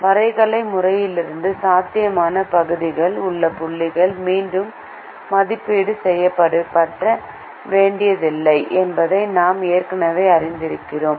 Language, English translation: Tamil, and from the graphical method we have already learnt that points inside the feasible region need not be evaluated